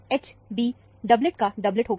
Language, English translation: Hindi, H b would be a doublet of a doublet